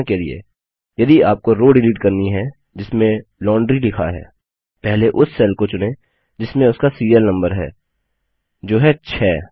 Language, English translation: Hindi, For example, if we want to delete the row which has Miscellaneous written in it, first select the cell which contains its serial number which is 6